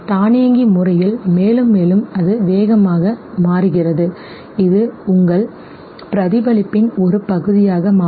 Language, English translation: Tamil, The more and more automated it becomes the more faster it becomes okay, it becomes a part of your reflex